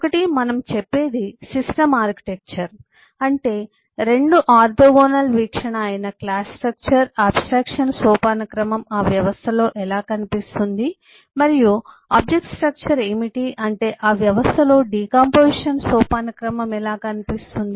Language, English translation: Telugu, what we say is the system architecture, that is, the 2 orthogonal view of how does the class structure, how does the abstraction hierarchy look in that system and what is the object structure, that is, how does the decomposition hierarchies look in that system